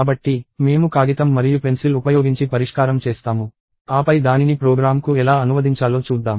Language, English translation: Telugu, So, we will talk about the solution as we do it on paper and pencil, and then we will see how to translate that to a program